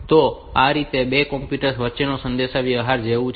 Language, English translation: Gujarati, So, it is like communication between two computers